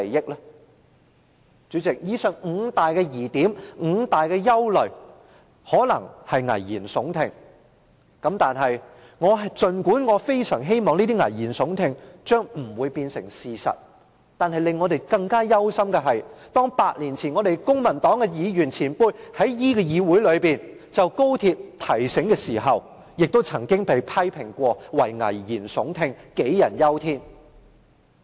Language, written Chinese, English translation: Cantonese, 代理主席，以上的五大疑點、五大憂慮可能是危言聳聽，儘管我非常希望這些聳聽的危言將不會成為事實，但令我們憂心的是 ，8 年前公民黨的議員前輩在議會內就高鐵的提醒，亦曾被批評為危言聳聽、杞人憂天。, Deputy President the five points mentioned above may well be alarmist talks . Even though I very much hope that such alarmist talks will never become reality we are worried that the history that happened eight years ago would repeat itself . Eight years ago when former Members from the Civic Party gave warnings about various problems arising from XRL they were criticized for being over worried and making exaggerated remarks to scare people